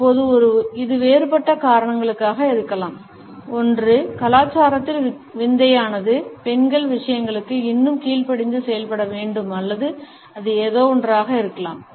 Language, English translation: Tamil, Now, this could be for different reasons, either one it is been oddly ingrained in the culture that ladies are supposed to react a lot more subdued to stuff or it could be something just